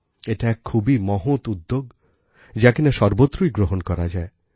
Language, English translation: Bengali, This is a great initiative that can be adopted anywhere